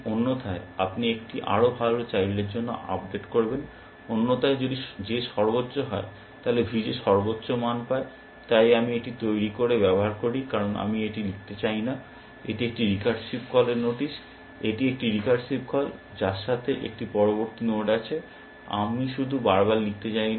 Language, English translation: Bengali, Otherwise you will update to a better child, else if J is max, then V J get max, so I just use this devised, because I do not want write this, this is a recursive call notice, it is a recursive call, with an next node, I just do not know to write it again and again